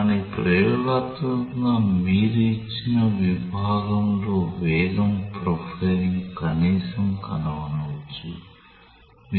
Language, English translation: Telugu, But experimentally you can at least find out velocity profile on a given section